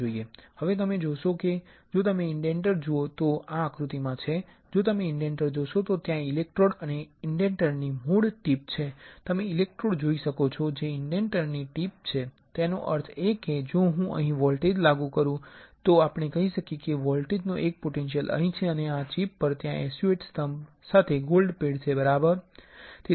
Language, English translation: Gujarati, Now, you see if you see the indenter which in this figure in this figure if you see the indenter there is a electrode and the mod tip of the indenter you can see electrode that tip of the indenter; that means, if I apply voltage here which is let us say voltage one potential of the voltage is here and on the chip there are there is a gold pad with SU8 pillars right gold pad with SU8 pillars